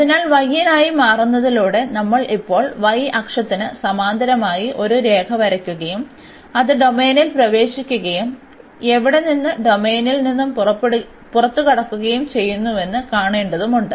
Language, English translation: Malayalam, So, changing for y we have to now draw a line parallel to the y axis and see where it enters the domain and where it exit the domain